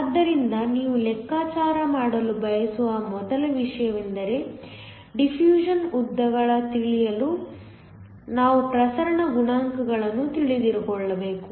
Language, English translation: Kannada, So, the first thing you want to calculate is the diffusion lengths to know the diffusion lengths we need to know the diffusion coefficients